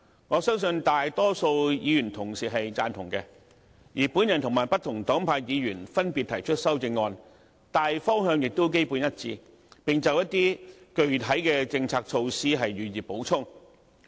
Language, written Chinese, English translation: Cantonese, 我相信大多數議員都對此贊同，而我和不同黨派的議員分別提出的修正案，大方向亦基本一致，只就一些具體的政策措施予以補充。, I trust that the majority of Members agree to this . Therefore the amendments proposed respectively by myself and Members belonging to different political parties are basically in line with the direction set in the original motion that they are only meant to supplement some of the specific policy initiatives proposed therein